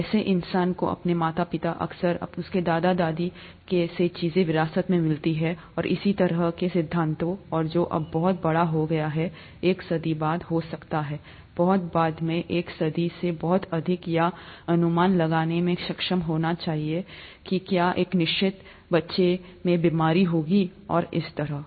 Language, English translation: Hindi, How human beings inherit things from their parents, often their grandparents, and so on, the principles of that, and that has become huge now, may be a century later, much more than a century later to be able to predict whether a disease would occur in a certain child, and so on